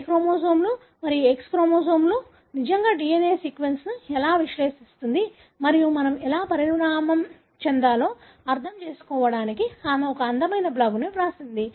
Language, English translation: Telugu, She has written a beautiful blog on how Y chromosomes and X chromosomes really the DNA sequence there we can use to analyze and understand how we evolved